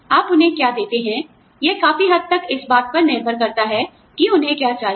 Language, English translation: Hindi, What you give them, depends largely on, what they need